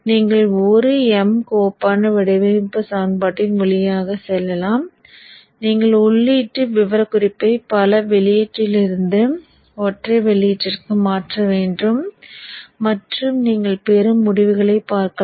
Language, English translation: Tamil, You can go through the design equations which is an M file and you can probably change the input specification from multi output to single output and see the results that you get